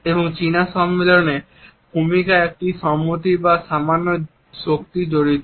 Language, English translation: Bengali, And introductions in the Chinese convention involved a nod or a slight power